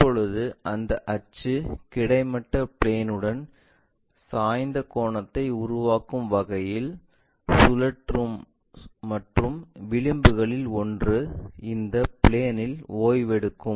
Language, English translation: Tamil, Now, rotate in such a way that this axis makes an inclination angle with the plane, horizontal plane and one of the edges will be resting on this plane